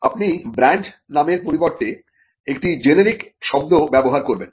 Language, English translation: Bengali, You would use a generic word instead of a brand name